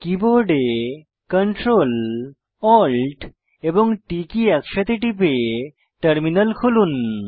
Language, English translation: Bengali, Open the terminal by pressing ctrl + alt + t simultaneously on the keyboard